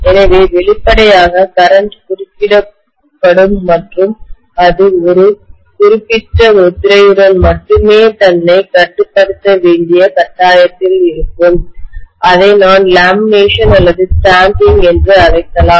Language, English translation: Tamil, So obviously, the current will be kind of interrupted and it will be forced to confine itself to only one particular stamping, I may call this as lamination or stamping